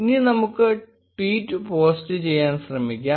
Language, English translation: Malayalam, Now let us try posting the tweet